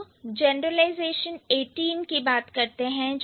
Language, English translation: Hindi, So, that is the 18th generalization